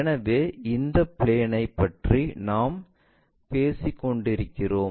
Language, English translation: Tamil, So, this is the plane what we are talking about